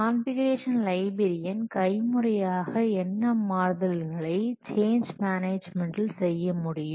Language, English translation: Tamil, The configuration librarian can manually what do the change management but the manual change management process gets overwhelmed